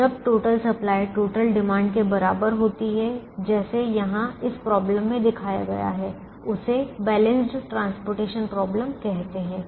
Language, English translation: Hindi, so when the total supply equals total demand, which is shown here, this problem is called a balanced transportation problem